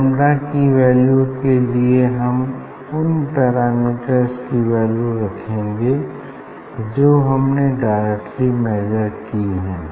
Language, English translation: Hindi, this lambda is equal to then if you put the parameter which we have measured directly